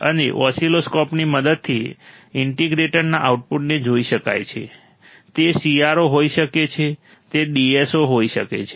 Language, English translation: Gujarati, And the output of the integrator can be seen with the help of oscilloscope it can be CRO it can be DSO